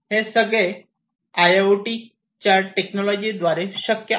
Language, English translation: Marathi, So, this can be possible with the help of a IIoT based technologies